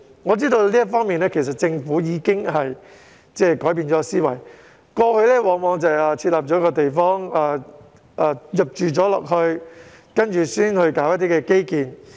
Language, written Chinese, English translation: Cantonese, 我知道在這方面政府已經改變思維，過去往往是先發展地方並且待市民遷入居住後才興建基建。, I know that the Government has changed its mindset in this regard . It used to develop the places first and then build infrastructure after people had moved in